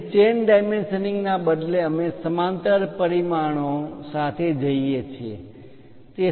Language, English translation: Gujarati, Here, representing chain dimension instead of that we go with parallel dimensioning